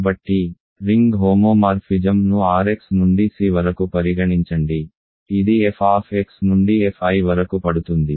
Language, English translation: Telugu, So, consider ring homomorphism from R x to C which takes f x to f i